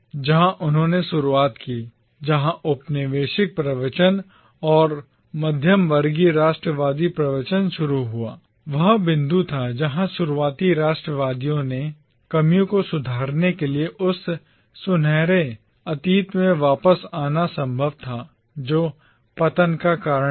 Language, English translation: Hindi, Where they started, where the colonial discourse and the middle class nationalist discourse started diverging was the point where the early nationalists argued that it was possible to return back to that fabled golden past by rectifying the shortcomings that had led to the fall